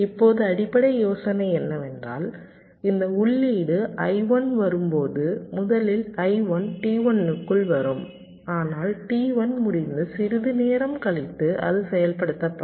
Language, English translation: Tamil, now the basic idea is that when this input, i one, comes first, i one will be come into t one, it will get executed, but after sometime t only finished